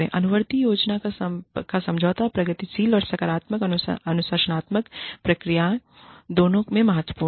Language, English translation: Hindi, The agreement to a follow up plan, is crucial in both the progressive and positive disciplinary procedures